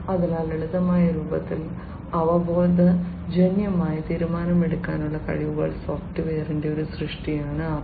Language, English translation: Malayalam, So, in simplistic form AI is a creation of software, having intuitive decision making capability